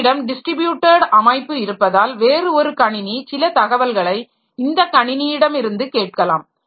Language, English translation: Tamil, I may have something like, say, in a distributed system, some other computer may be needing some information from this computer